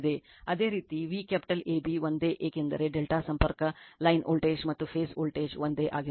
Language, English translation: Kannada, Similarly V capital AB same because your from a delta connection your line voltage and phase voltage remains same right